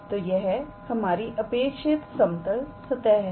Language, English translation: Hindi, So, this is our required level surface